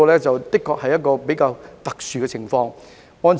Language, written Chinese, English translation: Cantonese, 這的確是一個較為特殊的情況。, Our case is really an extraordinary one